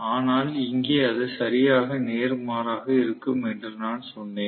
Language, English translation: Tamil, But I told you that here it is going to be exactly vice versa